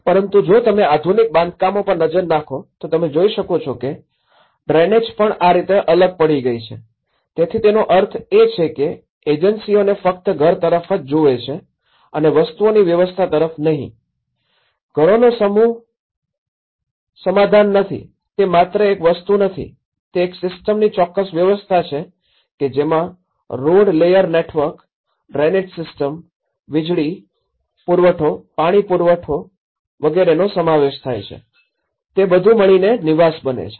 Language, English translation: Gujarati, But if you look at the modern constructions, you can see even the drainage has left just alone like this, so which means the agencies are looked only at a house but not as a system of things, a settlement is not just only a group of houses, it is not just a thing, it is a system of things and it can incorporate the road layer network, the drainage systems, the electricity, the supply, water supply, so everything together that makes a habitat